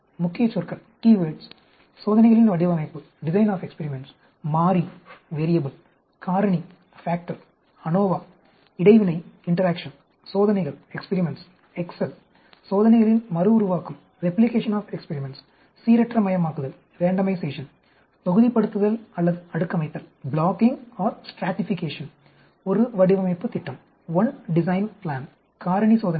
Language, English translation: Tamil, Key words, Design of experiments, variable,factor, ANOVA, Interaction, experiments, Excel, replication of experiments, Randomization, blocking or stratification, One design plan, factorial experiments